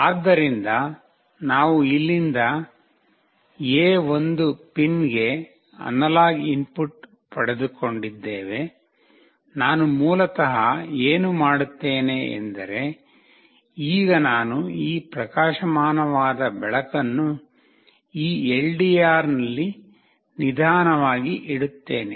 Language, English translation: Kannada, So, we have got the analog input from here to A1 pin, what I will do basically, now is that I will put this bright light in this LDR slowly